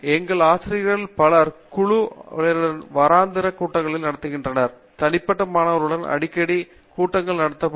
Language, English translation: Tamil, Several of our faculty holds regular weekly meetings of the whole group and they may hold more frequent meetings with individual students